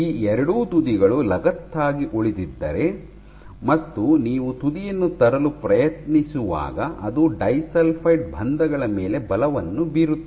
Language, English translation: Kannada, If both these ends remain attached, so when you try to bring the tip up as you try to bring the tip up, so it will exert forces on your individual disulfide bonds